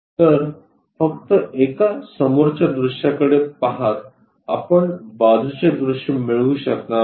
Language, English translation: Marathi, So, just looking at one front view side view, we will not be in a position to get